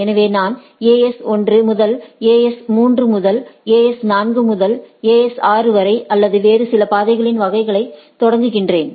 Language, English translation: Tamil, So, I start with AS 1 to AS 3 to AS 4 to AS 6 or some other paths type of things